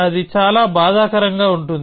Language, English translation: Telugu, That would be too painful